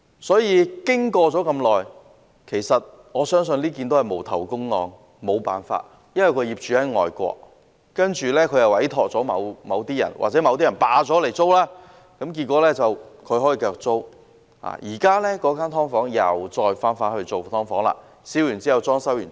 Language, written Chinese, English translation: Cantonese, 所以，事件發生了這麼久，我相信這宗也是"無頭公案"了，沒有辦法，因為業主在外國，他委託了某些人，又或某些人霸佔了物業，然後將之出租，結果是他可以繼續出租物業。, So as it has been a long time since the incident happened I think it will remain to be an unresolved case . Nothing can be done about it for the owner is staying abroad and has entrusted this unit to the care of some people or some people have taken possession of his unit and then rented it out and so this unit can continue to be rented out . This subdivided unit has now been restored as a subdivided unit again